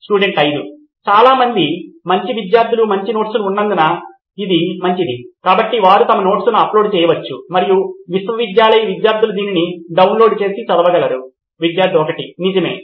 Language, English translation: Telugu, That’s a good one like many good students have good notes, so they can upload their notes and university students can download it and read it Right